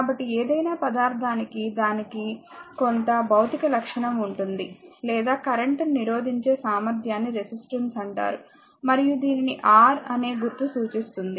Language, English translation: Telugu, So, that for any material, right it has some physical property or ability to resist current is known as resistance and is represented by the symbol R, capital R these the symbol R